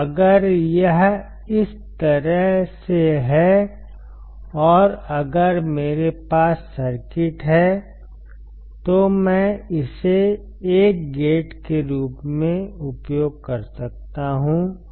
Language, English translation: Hindi, So, if this is in this way and if I have the circuit, I can use it as a not gate